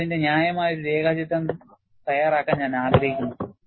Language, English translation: Malayalam, I would like you to make a reasonable sketch of it